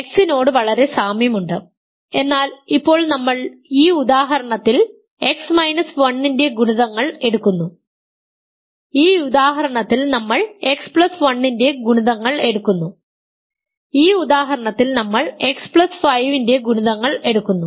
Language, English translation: Malayalam, Very similar to X, but now we are taking in this example we are taking the multiples of X minus 1, in this example we are taking the multiples of X plus 1 in this example we are taking the multiplies of X plus 5 and so, on